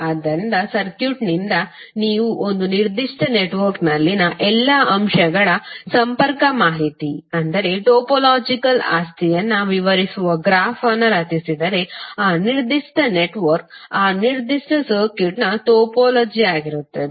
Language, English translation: Kannada, So from the circuit if you create a graph which describe the topological property that means the connectivity information of all the elements in a particular network, then that particular network will be the topology of that particular circuit